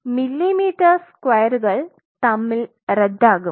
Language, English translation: Malayalam, So, your millimeter square millimeter square, cancel